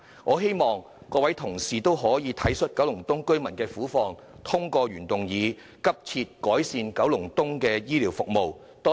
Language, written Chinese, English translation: Cantonese, 我希望各位同事體恤九龍東居民的苦況，通過我的原議案"急切改善九龍東公營醫療服務"。, I hope Members will appreciate the plight of residents in Kowloon East and support the passage of my original motion on Urgently improving public healthcare services in Kowloon East